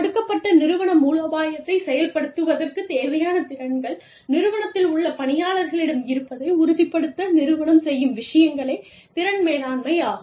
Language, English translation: Tamil, Competence management is, those things, that the organization does, to ensure that, the individuals in the organization, have the skills required, to execute a given organizational strategy